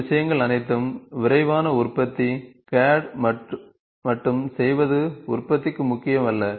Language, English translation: Tamil, All these things are rapid manufacturing, just doing CAD alone does not matter for a, for manufacturing